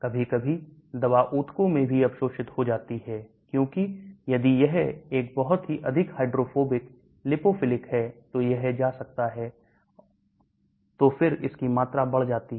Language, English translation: Hindi, Sometimes drugs get absorbed in tissues also, because if it is a very highly hydrophobic lipophilic it can go, so then your volume increases